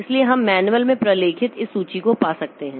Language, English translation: Hindi, every operating system so you can find this list documented in the manual